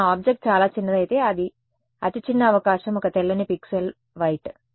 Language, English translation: Telugu, Now if my object is very small considering the smallest possibility one pixel white right